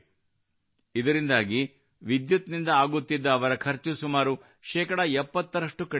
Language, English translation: Kannada, Due to this, their expenditure on electricity has reduced by about 70 percent